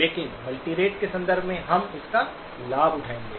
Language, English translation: Hindi, But in the context of multirate, we will take advantage of it